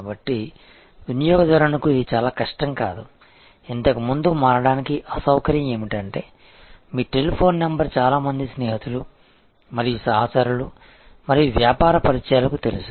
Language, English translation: Telugu, So, it is not very difficult for a customer, earlier the inconvenience of switching was that your telephone number was known to many friends and associates and business contacts